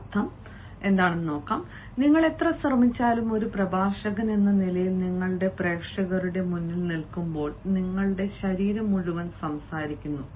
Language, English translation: Malayalam, meaning is, however hard you try, when, as a speaker, you stand before the audience, your entire body speaks